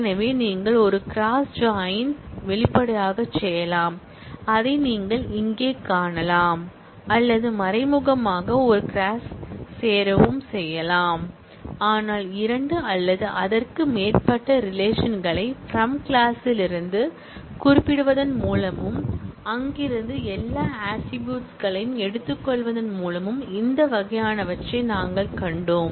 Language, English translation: Tamil, So, you could explicitly do a cross join, which you can see here or you can implicitly also do a cross join, but by specifying two or more relations in from clause, and taking all the attributes from there, we have seen these kind of Cartesian products earlier